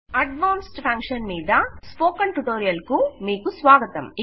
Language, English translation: Telugu, Welcome to the Spoken Tutorial on Advanced Function